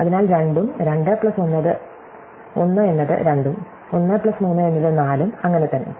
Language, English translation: Malayalam, So, 2s, 2 plus 1 is 2, 1 plus 3 is 4 and so on